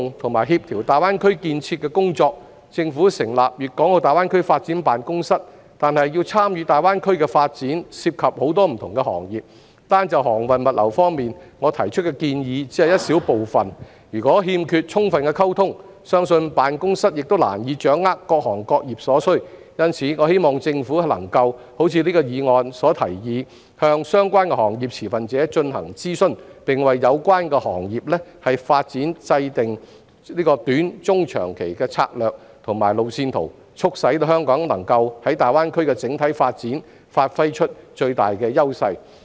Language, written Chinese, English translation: Cantonese, 為加強推動和協調大灣區建設的工作，政府成立粵港澳大灣區發展辦公室，但要參與大灣區的發展，涉及很多不同的行業，單就航運物流方面，我提出的建議只是一小部分，如果欠缺充分溝通，相信辦公室亦難以掌握各行各業所需，因此，我希望政府能夠如議案所提議，向相關行業持份者進行諮詢，並為有關行業的發展制訂短、中、長期政策和路線圖，促使香港能夠在大灣區的整體發展發揮最大的優勢。, In order to enhance the promotion and coordination of the development of GBA the Government has established the Guangdong - Hong Kong - Macao Greater Bay Area Development Office the Office but many different industries are involved in the GBA development and my proposals only represent a small part of the views on shipping and logistics only . If there is no adequate communication I believe it will be difficult for the Office to grasp the needs of various industries . Therefore I hope that the Government can as proposed in the motion conduct consultation with relevant industry stakeholders and formulate short - medium - and long - term strategies and road maps for the development of relevant industries so that Hong Kong can give play to its greatest advantages for the overall development of GBA